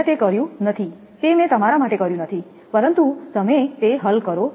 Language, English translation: Gujarati, I have not done it I have not done it for you, but you do it